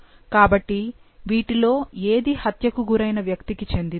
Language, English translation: Telugu, So now, which one of these belongs to the person who has been killed